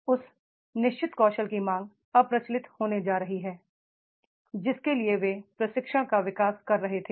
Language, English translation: Hindi, Demand of that particular skill is going to be the obsolete which way they are developing the training